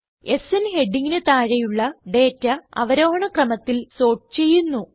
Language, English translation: Malayalam, The data is sorted under the heading SN and in the descending order